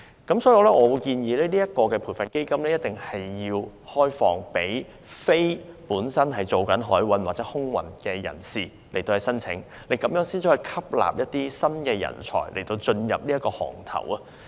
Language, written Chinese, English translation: Cantonese, 因此，我建議這項基金必須開放給非從事海運或空運的人士申請，才能吸納一些新人才加入行業。, Therefore I suggest opening the Fund to applicants who are not engaged in the maritime and aviation services industry in order to attract some new talents to join the industry